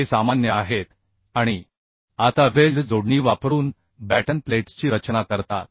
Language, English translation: Marathi, These are common and now design batten plates using weld connections